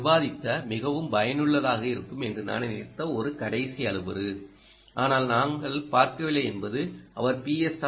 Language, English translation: Tamil, one last parameter which i thought would be very useful that we discussed but we did not see is is: he does not seem to mention about p s r r